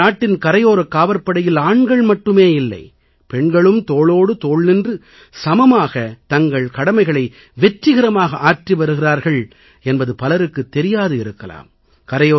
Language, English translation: Tamil, Not many people would be aware that in our Coast Guard, not just men, but women too are discharging their duties and responsibilities shoulder to shoulder, and most successfully